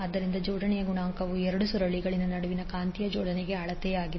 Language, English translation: Kannada, So coefficient of coupling is the measure of magnetic coupling between two coils